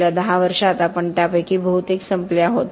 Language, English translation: Marathi, In the last 10 years we have run out of them mostly